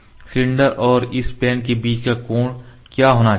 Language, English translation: Hindi, What should be the angle between the cylinder and this plane